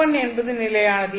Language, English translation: Tamil, This has to be N1